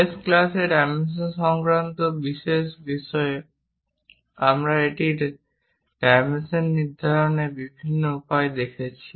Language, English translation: Bengali, On special issues on dimensioning in the last class we try to look at different ways of dimensioning it